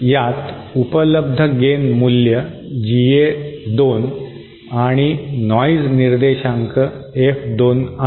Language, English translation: Marathi, This has available gain value GA2 and noise figure F2